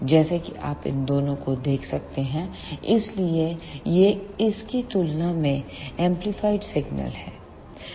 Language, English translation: Hindi, As you can see from these two, so this is the amplified signal as compared to this one